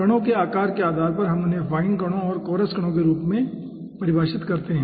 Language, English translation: Hindi, okay, depending on the size of the particles, we define them as fine particles and coarse particles